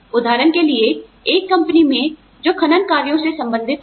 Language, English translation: Hindi, For example, in a company, that deals with mining operations, for example